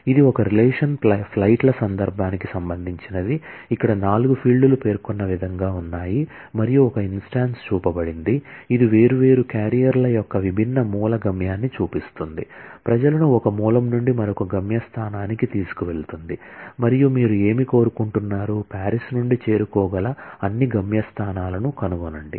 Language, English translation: Telugu, So, this is in context of a relation flights, where the four fields are as specified and there is an instance shown, which show that different source destination of different carriers, carrying people from one source to the other destination and what do you want to find is all destinations that can be reached from Paris